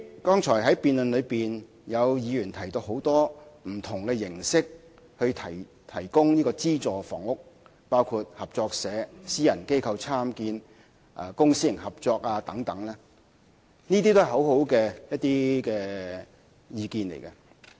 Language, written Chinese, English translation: Cantonese, 剛才在辯論中，有議員提到很多提供資助房屋的形式，包括合作社、私人機構參建、公私營合作等，這些都是一些很好的意見。, In the debate just now some Members mentioned a number of ways to provide subsidized housing such as through cooperative societies the Private Sector Participation Scheme and also public - private cooperation etc . All these advices are very good